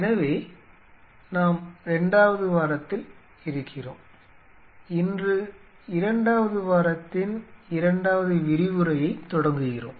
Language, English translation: Tamil, So, we are into the second week and today we are starting the second lecture of the second week